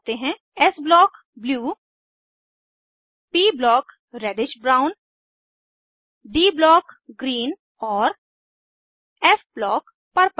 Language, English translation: Hindi, * s block – blue * p block – reddish brown * d block – green and * f block – Purple